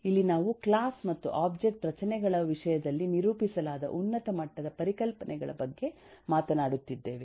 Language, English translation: Kannada, Here we are talking about high level concepts that are represented in terms of class and object structures